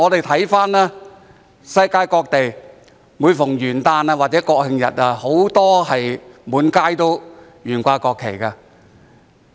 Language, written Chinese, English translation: Cantonese, 環顧世界各地，每逢元旦或國慶日，很多時均滿街懸掛國旗。, Around the world on New Years Day or National Day many streets are filled with national flags